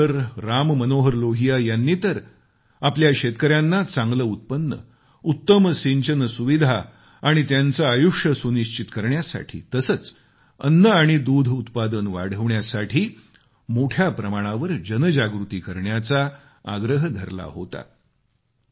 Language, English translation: Marathi, Ram Manohar Lal ji had talked of creating a mass awakening on an extensive scale about the necessary measures to ensure a better income for our farmers and provide better irrigation facilities and to increase food and milk production